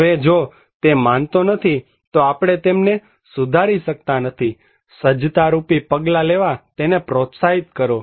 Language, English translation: Gujarati, Now, if he does not believe it, we cannot improve; encourage him to take preparedness action